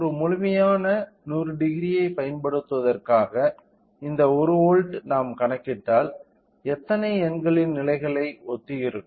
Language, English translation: Tamil, So, in order to utilize a complete 100 degree so, this 1 volt will be corresponding to how many number of levels if we calculate